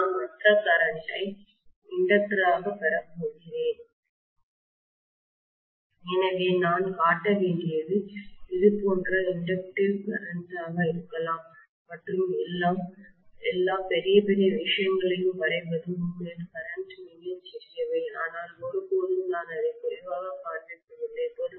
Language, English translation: Tamil, And I am going to have the other current as the inductor, so I should show may be my inductive current somewhat like this and drawing all big, big things really the currents are very very small but never the less I am just showing it for the sake of it